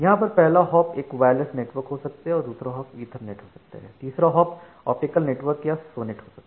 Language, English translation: Hindi, Here the first hop may be wireless, then the second hop maybe Ethernet, the third hop maybe optical network like SONET